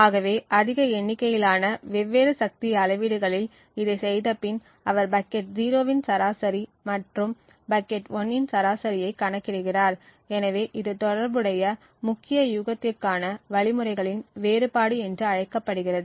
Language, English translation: Tamil, So eventually after doing this over large number of different power measurements he computes the average of bucket 0 and the average of bucket 1, so this is known as the difference of means for that corresponding key guess